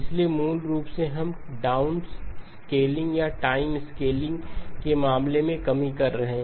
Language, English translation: Hindi, So basically we are doing a down sampling or a reduction in terms of the time scaling